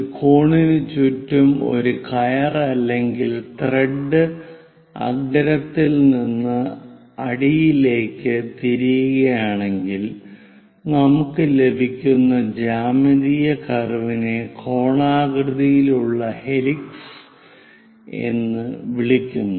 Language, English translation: Malayalam, So, if we are winding a rope or thread around a cone sorting all the way from apex to base, the geometric curve we get is called conical helix